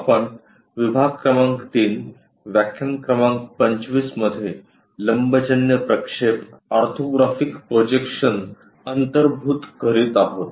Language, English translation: Marathi, We are covering module number 3 lecture number 25 on Orthographic Projections